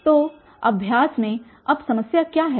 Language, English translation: Hindi, What is the problem now